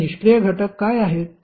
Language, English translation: Marathi, So, what are those passive elements